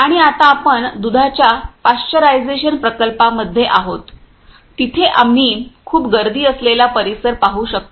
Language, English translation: Marathi, And now we are at milk pasteurisation plants, where we can see here too much crowdy area is there